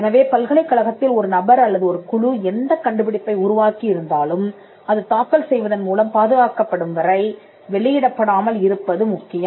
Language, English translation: Tamil, So, regardless of what a person or a team develops in the university, it is important that the invention is not disclosed until it is protected by filing a patent application